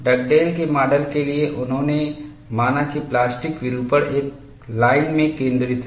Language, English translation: Hindi, For the Dugdale’s model, he assumed that plastic deformation concentrates in a line